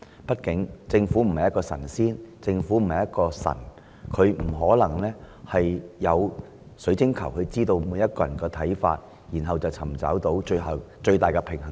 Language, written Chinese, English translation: Cantonese, 畢竟，政府不是神仙或神，亦沒有水晶球能預知所有人的看法，然後找出最終的平衡點。, After all the Government is not God . It does not have a crystal ball to foresee where the reasonable point of balance is among all public views